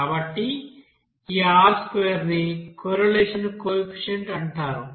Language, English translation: Telugu, So this R square is called correlation coefficient